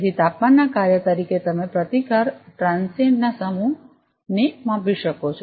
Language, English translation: Gujarati, So, as a function of temperature, you can measure the same set of resistance transient